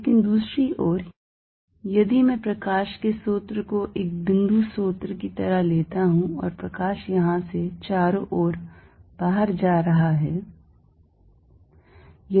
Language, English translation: Hindi, But, on the other hand, if I take a source of like a point source of light and light is going out from here all around